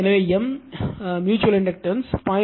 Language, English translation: Tamil, So, M will become mutual inductance will become 0